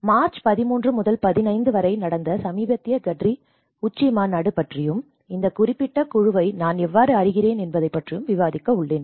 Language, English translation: Tamil, So, I am going to discuss about the recent GADRI summit which just happened on from 13 to 15 of March and where I was rapporteuring this particular group